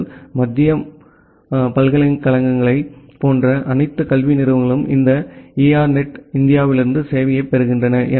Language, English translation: Tamil, So, for example, all the educational institutes like all the IITs the central universities, they get the service from this ERNET India